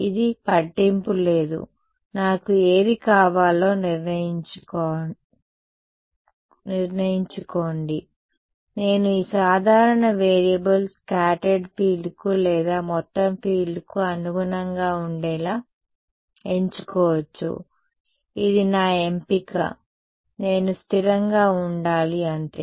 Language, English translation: Telugu, Decide it does not matter I decide which one I want; I can either choose that this common variable be for corresponds to scattered field or total field its my choice I just have to be consistent that is all